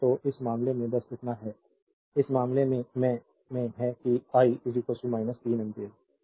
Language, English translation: Hindi, So, in this case just hold on so, in this case that I is equal to minus 3 ampere